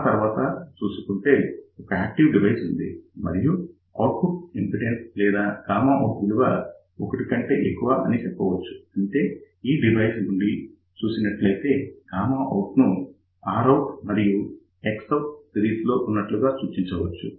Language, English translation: Telugu, After that we have an active device and the output impedance or you can say gamma out is greater than 1 so; that means, looking from this particular device, we can actually say that gamma out can, now be represented as R out in series with X out, but R out now has a negative value